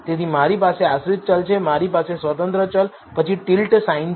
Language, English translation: Gujarati, So, I have dependent variable I have a tillet sign followed by the independent variable